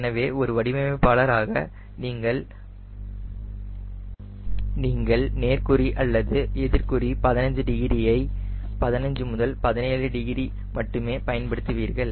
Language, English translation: Tamil, so as a designer you use only plus minus fifteen degrees, fifteen to seventeen degrees, not more than that